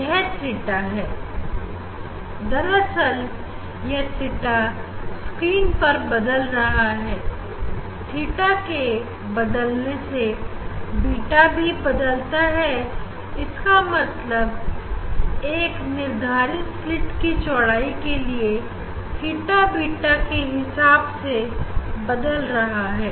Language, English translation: Hindi, obviously, that theta will vary on the screen, this theta will vary beta is varying means for different theta we will get for a particular slit width